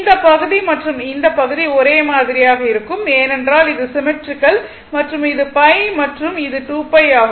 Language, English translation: Tamil, This area and this area, it is same it is symmetrical and this is pi this is 2 pi